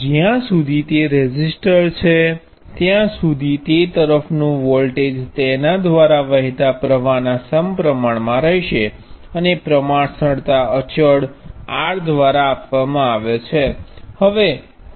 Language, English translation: Gujarati, As long as it is a resistor, the voltage across it will be proportional to the current through it and the proportionality constant is given by R